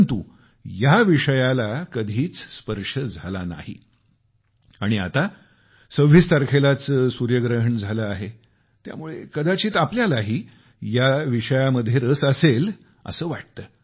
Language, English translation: Marathi, But this topic has never been broached, and since the solar eclipse occurred on the 26th of this month, possibly you might also be interested in this topic